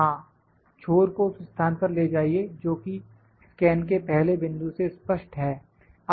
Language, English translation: Hindi, Yes, move the tip to a position that is clear to the first point of the scan